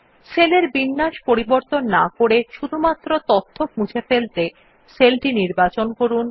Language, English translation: Bengali, To delete data without removing any of the formatting of the cell, just select a cell